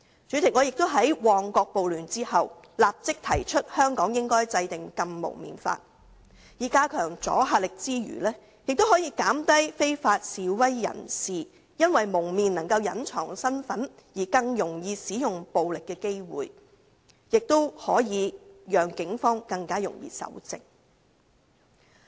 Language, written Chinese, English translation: Cantonese, 主席，我亦曾在旺角發生暴亂後立即提出香港應制定"禁蒙面法"，在加強阻嚇力之餘，亦可防止非法示威者因蒙面能隱藏身份而更容易使用暴力，亦可讓警方更容易搜證。, President immediately after the riots in Mong Kok I proposed legislating against the wearing of masks in Hong Kong . Apart from enhancing the deterrent effect it can prevent unlawful protesters from easier resort to violence as they can hide their identities by wearing masks . It can also enable the Police to collect evidence more easily